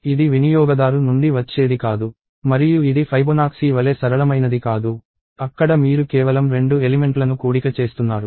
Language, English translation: Telugu, It is not something that is going to come from the user and it is not something that is as simple as Fibonacci; where you just have to add 2 elements